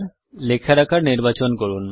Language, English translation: Bengali, Let us choose the size of the text